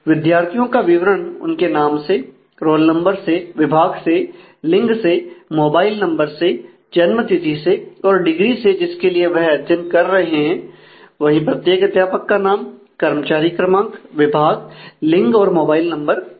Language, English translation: Hindi, The student are specified by their name, roll number, department, gender, mobile number, date of birth, and the degree that they are doing and every faculty member also has a name, employee id, department, gender, mobile number